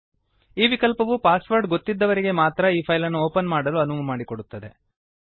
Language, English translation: Kannada, This option ensures that only people who know the password can open this file